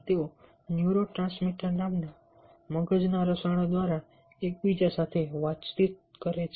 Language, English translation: Gujarati, they communicate with each other through brain chemical called transmitters